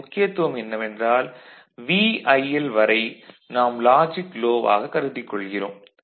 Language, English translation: Tamil, The significance of this is this that up to VIL we are treating in this as logic low